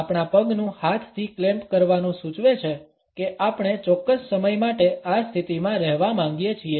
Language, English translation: Gujarati, Since the clamping of the leg with our hands suggest that we want to stay in this position for certain time